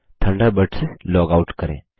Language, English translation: Hindi, The Thunderbird icon appears